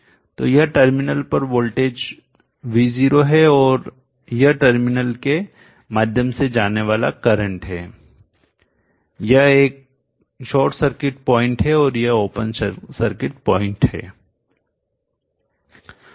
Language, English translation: Hindi, So this is the V0 the voltage across the terminal and this is the current through the system you know this is a short circuit point and this open circuit point